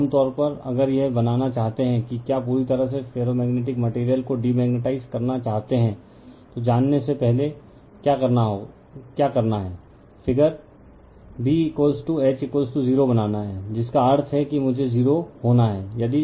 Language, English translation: Hindi, Now, generally if you want to make that your what will if you want to completely demagnetize the ferromagnetic material, what you have to do is before going to the figure, you have to make B is equal to H is equal to 0 that means, I has to be 0